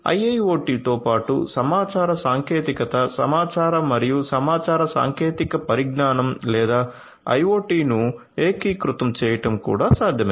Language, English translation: Telugu, So, that is there but in addition with IIoT it is also possible to integrate information technology, information and communication technology or IoT